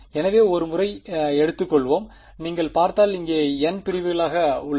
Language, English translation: Tamil, So, let us take once, if you look at I have n segments over here